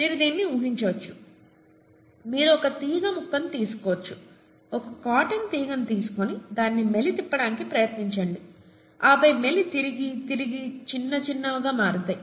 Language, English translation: Telugu, You can imagine this, you can take a piece string, okay, cotton string and try twisting it, then twists and twists and twists and twists and it becomes smaller and smaller and smaller, okay